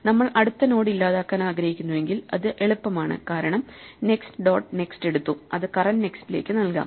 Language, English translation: Malayalam, If we wanted to delete the next node then we are in good shape because we can take the next dot next and assign it to the current next